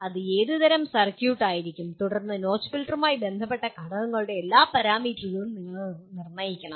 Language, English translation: Malayalam, What kind of circuit it would be and then you have to determine all the parameters of the components associated with the notch filter